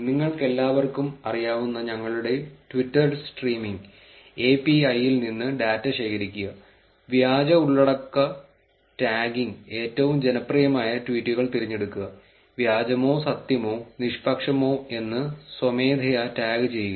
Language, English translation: Malayalam, And collect data from our twitter streaming API which all of you know, fake content tagging, select most popular tweets, manually tag as fake, true or neutral